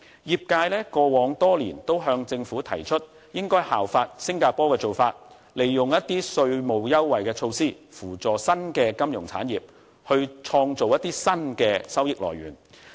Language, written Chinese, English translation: Cantonese, 業界過往多年也向政府提議應該效法新加坡的做法，利用稅務優惠的措施來扶助新的金融產業，以創造新的收益來源。, Over the years the industry has been urging the Government to follow Singapores practice of offering taxation concession to assist the development of a new financial industry and to create new sources of revenue